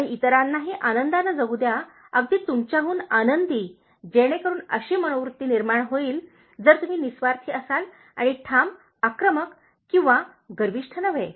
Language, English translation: Marathi, Live and let live and let live others very happily even happier than you, so that kind of attitude will come if you are selfless, then assertive, not aggressive or arrogant